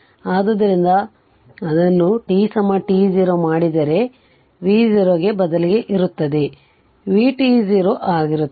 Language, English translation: Kannada, So, but now if we make it t is equal to t 0, then it will be instead of v 0, it will be v t 0 right